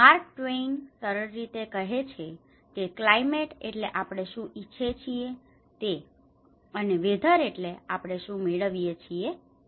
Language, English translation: Gujarati, Mark Twain simply tells climate is what we expect and weather it is what we get